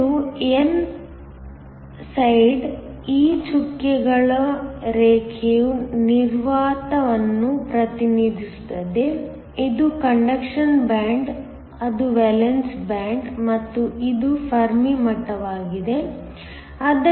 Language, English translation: Kannada, This is my n side, this dotted line represents vacuum, this is the conduction band, that is the valence band and this is the Fermi level